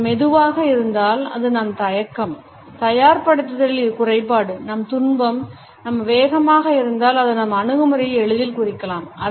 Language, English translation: Tamil, If it is slow then it suggest our hesitation, our lack of preparedness, our sorrow for instance, if it is fast it can easily indicate our hesitation